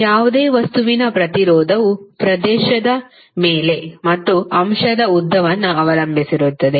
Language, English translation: Kannada, Resistance of any material is having dependence on the area as well as length of the element